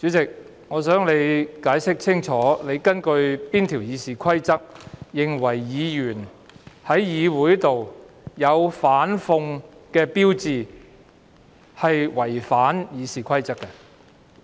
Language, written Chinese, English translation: Cantonese, 主席，請你解釋清楚，你是根據《議事規則》哪一項條文裁決議員在議會內展示反諷語句屬於違反《議事規則》？, President can you please clarify which provision you have applied to rule that it is a breach of RoP for Members to display ironic statements in the Council?